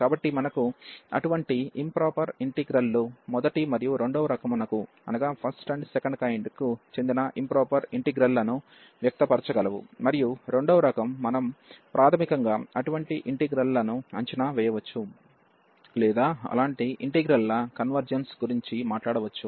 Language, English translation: Telugu, So, such improper integrals of we can express in terms improper integrals of the first and the second kind, and then we can basically evaluate such integrals or we can talk about the convergence of such integrals